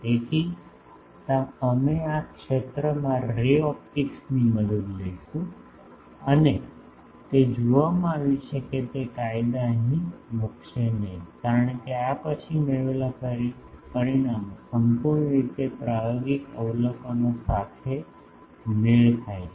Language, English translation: Gujarati, So, we will take help of ray optics at this fields and it had been seen that those laws would not put here because, the results obtained after these fully matches with the experimental observations